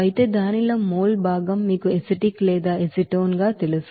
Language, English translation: Telugu, Whereas, mol fraction of that you know acetic or acetone, it would be 54